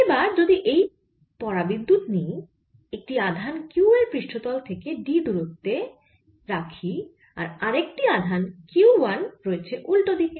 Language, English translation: Bengali, so now, if we take this dielectric, there is a charge q at a distance d from the surface and charge q one on the other side